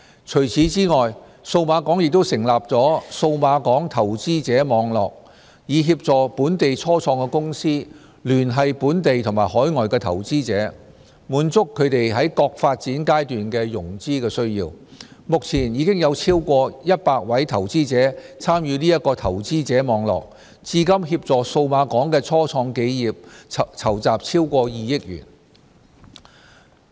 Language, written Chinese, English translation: Cantonese, 除此之外，數碼港亦成立了"數碼港投資者網絡"，以協助本地初創公司聯繫本地及海外的投資者，滿足它們在各發展階段的融資需要，目前已有超過100位投資者參與這個投資者網絡，至今協助數碼港的初創企業籌集超過2億元。, Besides the Cyberport has also established the Cyberport Investors Network CIN to assist local start - ups to liaise with local and overseas investors in meeting their financing needs at various development stages . At present more than 100 investors have joined CIN and facilitated Cyberport start - ups to raise more than 200 million